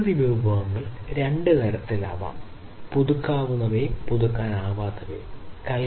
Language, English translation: Malayalam, So, natural resources can be of two types, the renewable ones and the non renewable ones